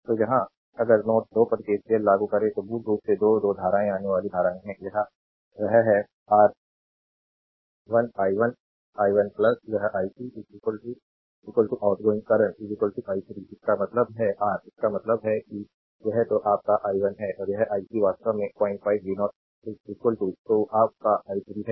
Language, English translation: Hindi, So, here ah if you apply KCL at node 2; So, basically 2 2 currents are incoming current, that is your i 1, i 1 plus this ic , right is equal to the outgoing current is equal to i 3 right; that means, your; that means, this is your i 1 and this is ic is actually 0